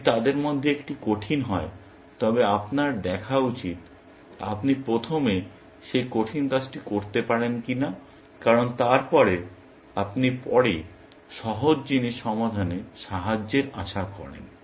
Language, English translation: Bengali, If one of them is harder, then you should see whether, you can do that harder thing first, because then, you hope of help solving easier thing later, essentially